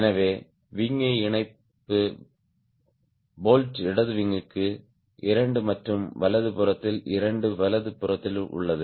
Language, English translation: Tamil, so you have seen the wing attachment bolts, two for the left wing and two for the right wing, two on the right side